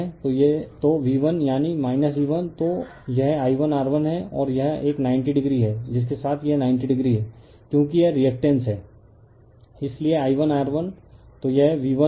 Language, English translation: Hindi, So, V 1 is equal to that is your minus E 1 then this one is I 1 R 1 and this one 90 degree with that this is 90 degree because it is reactance, so I 1 R 1, so this is my V 1, right